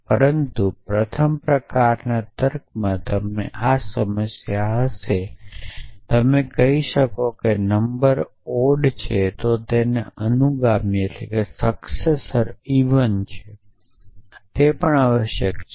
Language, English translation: Gujarati, But in first sort of logic you would have this problem you could say if a number is odd then it is successor is even essentially